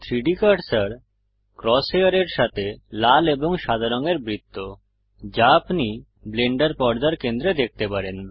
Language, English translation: Bengali, The 3D Cursor is the red and white ring with the cross hair that you see at the centre of the Blender screen